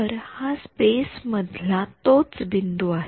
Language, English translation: Marathi, So, this is the same point in space